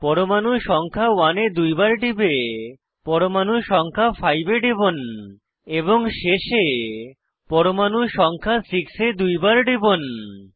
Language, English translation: Bengali, Double click on atom 1, click on atom 5 and lastly double click atom number 6